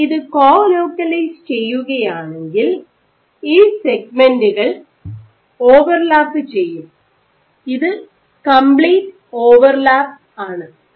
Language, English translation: Malayalam, So, if you co localize, so there are segments, in which they overlap there is complete overlap